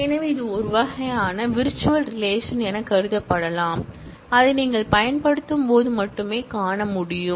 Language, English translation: Tamil, So, it is a kind of, can be thought of as a kind of virtual relation, which exists, which can be seen only when you use that